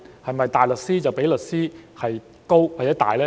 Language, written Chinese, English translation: Cantonese, 是否大律師較律師高或大呢？, Is a barrister of a higher rank or more superior than a solicitor?